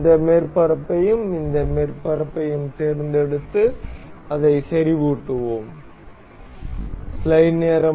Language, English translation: Tamil, We will select this surface and this surface, and will mate it up as concentric